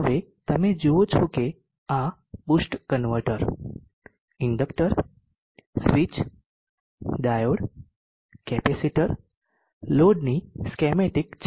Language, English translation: Gujarati, Now we will see that this is schematic of the boost converter, inductor, switch, diode, capacitor, load